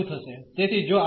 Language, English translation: Gujarati, So, if we change the order